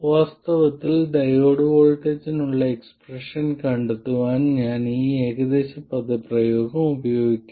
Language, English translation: Malayalam, In fact, I will use this approximate expression to find the expression for the diode voltage